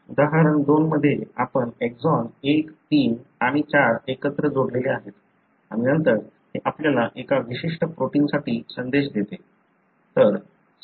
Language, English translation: Marathi, In example 2, you have exon 1, 3 and 4 joined together and then, that gives you a message for a particular protein